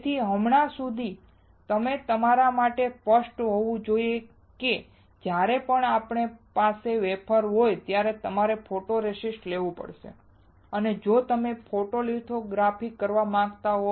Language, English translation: Gujarati, So, until now it should be clear to you that whenever you have a wafer you have to have photoresist, if you want to do a photolithography